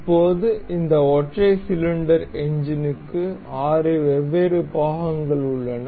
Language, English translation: Tamil, Now, we have the 6 different parts for this single cylinder engine